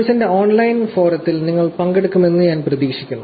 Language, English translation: Malayalam, I hope you are participating in the online forum that we have in the course